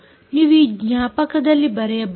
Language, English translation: Kannada, you can write to this memory a part